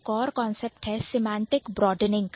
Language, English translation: Hindi, Then there is something called semantic broadening